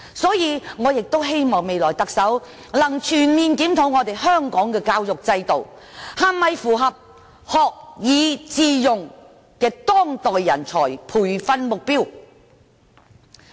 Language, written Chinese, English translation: Cantonese, 所以，我希望未來特首能全面檢討香港的教育制度是否符合學以致用的當代人才培訓目標。, I hope the future Chief Executive can comprehensively review the education system in Hong Kong and consider whether it can achieve the purpose of manpower training of our times that is studying for practical applications